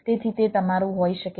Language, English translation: Gujarati, right, so it can be your ah